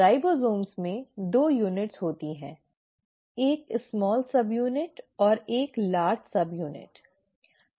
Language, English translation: Hindi, The ribosomes have 2 units; there is a small subunit and a large subunit